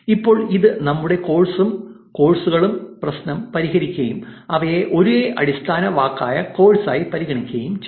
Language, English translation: Malayalam, Now, this should solve our course and courses problem and consider them as the same base word course